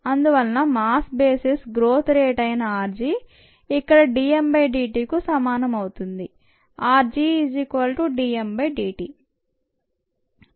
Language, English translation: Telugu, therefore, r g, which is the growth rate on a mass basis, equals d m, d t